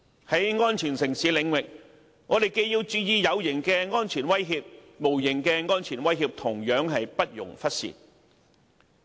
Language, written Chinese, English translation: Cantonese, 在安全城市領域，我們既要注意有形的安全威脅，但無形的安全威脅同樣不容忽視。, As regards the subject of safe city we have to pay attention to tangible security threats but we must not ignore the intangible threats